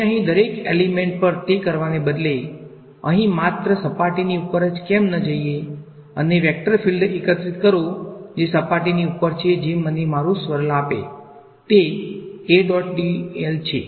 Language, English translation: Gujarati, Instead of doing it over every element over here, why not just walk along the surface over here and collect the vector field that is along the surface that will give me the swirl that is my A dot dl